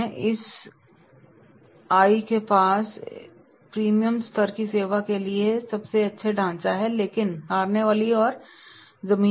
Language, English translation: Hindi, SIA has the best structure for premium level service but losing ground